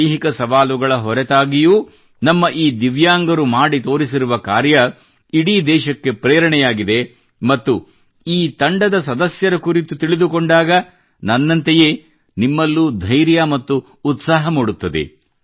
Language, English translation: Kannada, Despite the challenges of physical ability, the feats that these Divyangs have achieved are an inspiration for the whole country and when you get to know about the members of this team, you will also be filled with courage and enthusiasm, just like I was